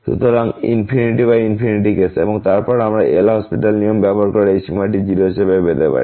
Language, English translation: Bengali, So, infinity by infinity case, and then we can use L’Hospital rule with to get this limit as 0